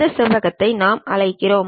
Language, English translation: Tamil, This rectangle what we call